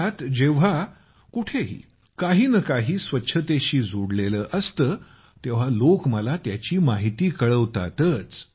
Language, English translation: Marathi, If something related to cleanliness takes place anywhere in the country people certainly inform me about it